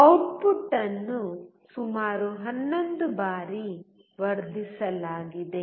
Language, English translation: Kannada, The output has been amplified about 11 times